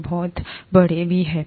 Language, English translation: Hindi, They are very large too